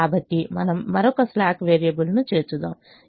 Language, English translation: Telugu, so we add another slack variable, which is three x one plus x two plus u two, equal to eleven